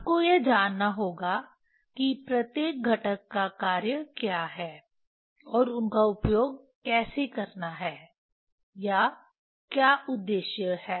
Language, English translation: Hindi, You have to know what the function of this each component is, and how to use them or what purpose